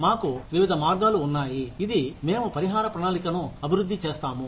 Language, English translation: Telugu, We have various ways, in which, we develop a compensation plan